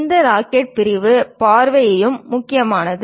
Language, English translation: Tamil, The sectional view of this rocket is also important